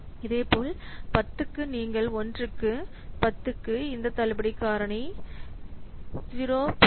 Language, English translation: Tamil, Similarly for 10 you can see for year 1 for 10 this discount factor is 0